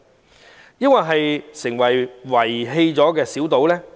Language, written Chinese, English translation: Cantonese, 還是會令它變成被遺棄的小島呢？, Or will this small island become abandoned?